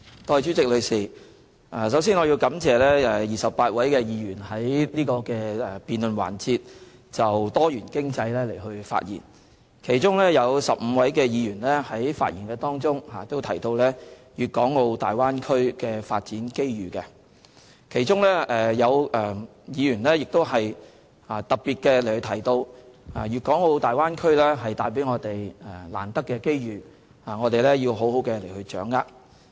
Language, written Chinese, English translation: Cantonese, 代理主席，首先我要感謝28位議員在這辯論環節就多元經濟發言，其中有15位議員在發言中提到粵港澳大灣區的發展機遇，當中有議員特別提到大灣區為我們帶來難得的機遇，我們要好好掌握。, Deputy President first of all I would like to thank the 28 Members who spoke on diversified economy in this debate session . Amongst these Members 15 mentioned the development opportunities in the Guangdong - Hong Kong - Macao Bay Area and some Members highlighted that we have to grasp the precious opportunities brought by the Bay Area